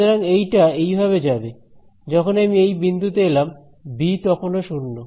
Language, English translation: Bengali, So, this guy will go like this when I come to this point b is still 0